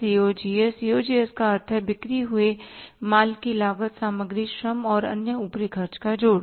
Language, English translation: Hindi, COGS means cost of the goods to be sold, some total of material, labour and the other overheads